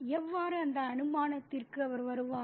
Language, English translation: Tamil, How does he arrive at that assumption